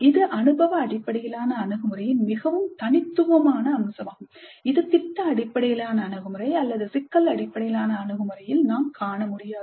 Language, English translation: Tamil, This is a very distinguishing feature of experiential approach which we will not find it in project based approach or problem based approach